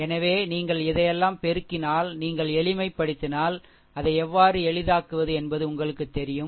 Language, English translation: Tamil, So, if you multiplied this all this things if you simplify you know how to simplify it